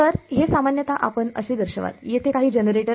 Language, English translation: Marathi, So, this is typically how you will show it, some generator is over here